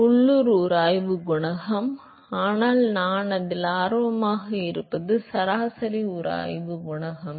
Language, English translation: Tamil, So, that is the local friction coefficient, but what I am more interested is the average friction coefficient